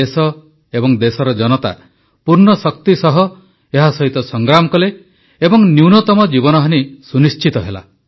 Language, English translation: Odia, The country and her people fought them with all their strength, ensuring minimum loss of life